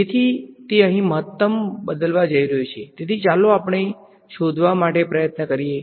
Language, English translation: Gujarati, So, it is going to change the maximum over here so let us try to just find out